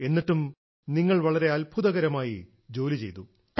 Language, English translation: Malayalam, Despite that, you accomplished this impressive task